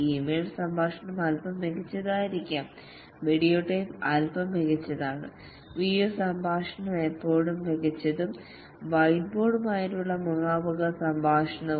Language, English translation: Malayalam, Video tape, slightly better, video conversation is still better and face to face conversation with a whiteboard